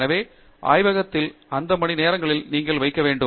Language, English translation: Tamil, So, you have to put in those hours in the lab